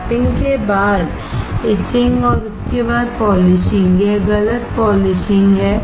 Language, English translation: Hindi, Lapping followed by etching, followed by polishing, this is wrong polishing